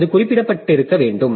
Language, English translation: Tamil, So, it must have been referred to